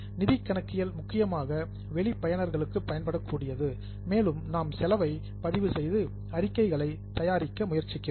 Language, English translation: Tamil, Financial accounting is mainly for external users and we are trying to record the cost and prepare statements